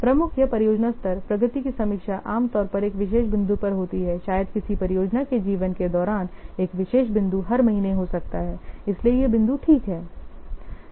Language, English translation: Hindi, Major or project level progress reviews generally takes place at a particular point maybe a particular point in the life of project might be in every month